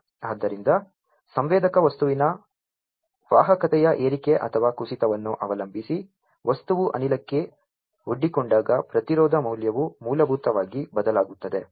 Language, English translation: Kannada, So, the resistance value basically changes when the material is exposed to gas depending on the rise or fall in conductivity of the sensor material